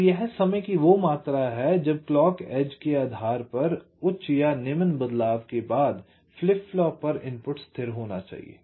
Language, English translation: Hindi, so this is the amount of time the input to the flip flop must be stable after the clock transitions, high for low, depending on the edge